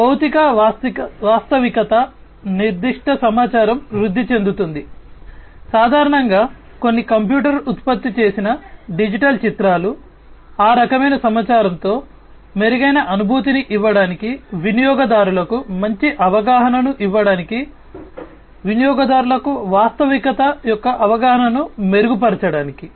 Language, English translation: Telugu, So, physical reality is augmented with certain information, typically, some computer generated digital images augmented with that kind of information to give a better feeling, better, you know, perception to the users, improve perception of the reality to the users